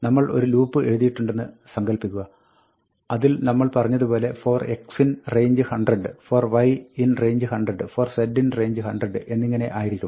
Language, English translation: Malayalam, Imagine, we had written a loop in which we had said, for x in range 100, for y in range 100, for z in range 100, and so on